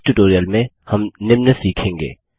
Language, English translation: Hindi, In this tutorial we will learn the followings